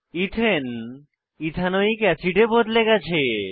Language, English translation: Bengali, Observe that Ethane is converted to Ethanoic acid